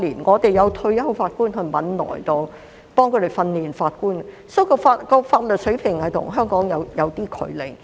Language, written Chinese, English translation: Cantonese, 我們有退休法官前往汶萊協助他們訓練法官，因此他們的法律水平與香港有點距離。, We have retired judges who go to Brunei to help train their judges so their legal standard is not on par with that of Hong Kong